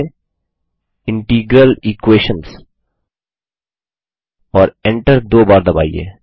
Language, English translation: Hindi, Type Integral Equations: and press enter twice